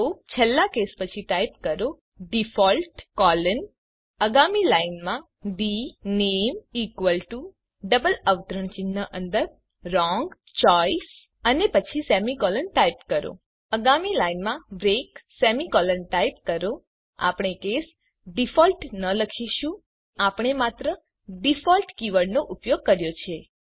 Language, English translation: Gujarati, So After the last case, type default colon Next line dName equal to within double quotes Wrong Choice then semicolon Next line break semicolon We do not say case default Note that we simply use the keyword default